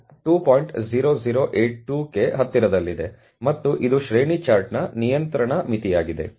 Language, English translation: Kannada, 0082 and that is the upper control limit for the range chart